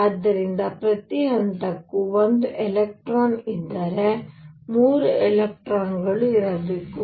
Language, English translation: Kannada, So, if each level has one electron there should be 3 electrons